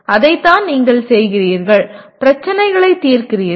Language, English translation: Tamil, That is what you are doing, solving problems